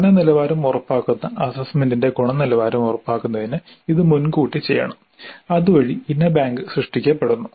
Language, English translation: Malayalam, This must be done upfront to ensure quality of assessment which ensures quality of learning, creating the item bank